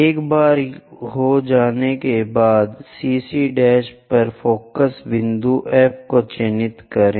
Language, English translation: Hindi, Once done, mark focus point F on CC prime